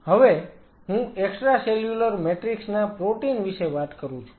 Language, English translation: Gujarati, Now, I am talking about extra cellular matrix protein